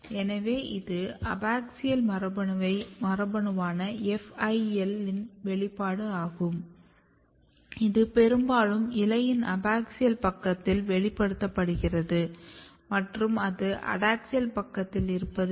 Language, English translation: Tamil, So, if you look here, so this is the expression of FIL which is abaxial gene and it is positioned it is mostly expressed in the abaxial side of the leaf and it is absent in the adaxial side